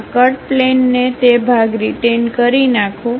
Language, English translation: Gujarati, This is the cut plane; retain that part